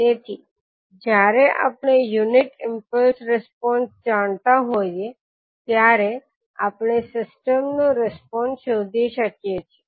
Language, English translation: Gujarati, So we can find out the response of the system when we know the unit impulse response